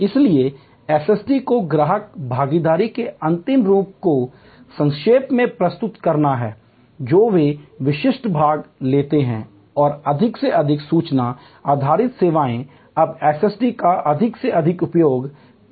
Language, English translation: Hindi, So, SST's are to summarize ultimate form of customer involvement they take specific part and more and more information based services are now using more and more of SST